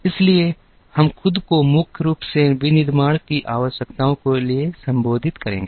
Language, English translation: Hindi, So, we will address ourselves primarily to requirements of manufacturing